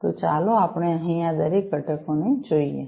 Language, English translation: Gujarati, So, let us look at each of these components over here